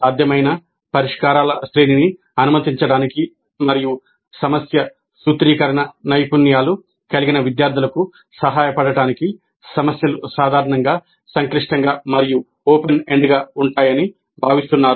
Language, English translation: Telugu, The problems are generally expected to be complex and open ended in order to permit a range of possible solutions and also to help students with problem formulation skills